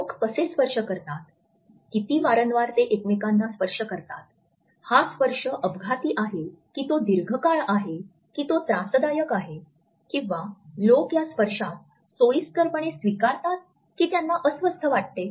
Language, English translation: Marathi, How do people touch, how much frequently they touch each other, whether this touch is accidental or is it prolonged is it caressing or is it holding, whether people accept these touches conveniently or do they feel uncomfortable